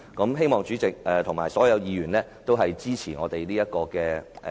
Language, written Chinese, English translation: Cantonese, 我希望主席和所有議員均支持這項議案。, I hope that the President and all other Members will support this motion